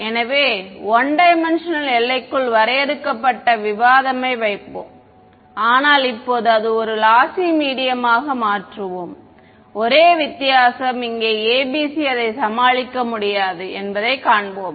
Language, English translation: Tamil, So, we will keep the discussion limited to 1D, but now change it to a lossy medium that is the only difference and here we will find that the ABC is not able to deal with it ok